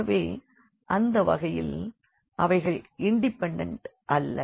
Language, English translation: Tamil, So, they are not independent in that case